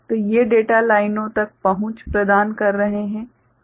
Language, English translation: Hindi, So, these are the providing access to the data lines ok